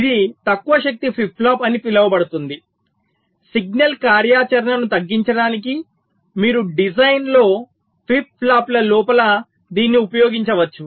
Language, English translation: Telugu, so this is the so called low power flip flop, which you can use in a design to reduce the signal activity inside the flip flops